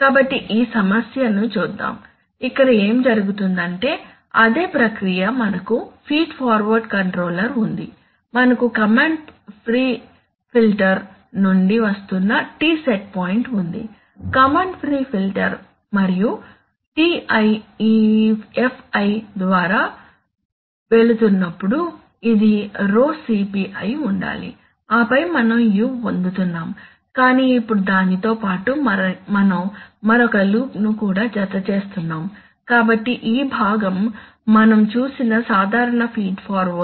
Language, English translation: Telugu, So let us look at this problem, so what is happening here, first let us, it is the same process okay, so we have the feed forward controller, so we have a T set point which is coming through a command pre filter, command pre filter and Ti they are going through this Fi this should be this should be Rho CP and then we are getting u, right, but now along with that we are also adding another loop, so this part is the usual feed forward that we have seen, this part, where we are measuring the disturbance giving the set point and according to our old calculated law we are giving the control input